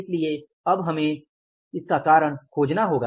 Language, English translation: Hindi, So, now we have to find out the reason for that